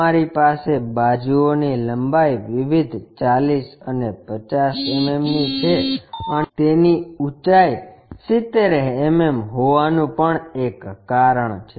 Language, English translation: Gujarati, There is a reason you have different sides different lengths 40 and 50 mm and it has a height of 70 mm